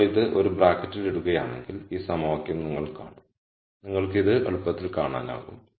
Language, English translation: Malayalam, So, this equation you would see is if you put this in a bracket and you will see this easily